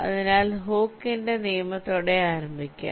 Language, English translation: Malayalam, so we start with hookes law